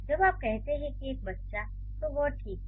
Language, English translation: Hindi, So, when you say a child, that's fine